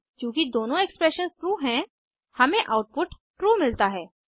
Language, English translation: Hindi, Since both the expressions are true, we get output as true